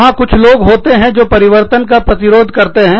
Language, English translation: Hindi, There are some people, who are resistant to change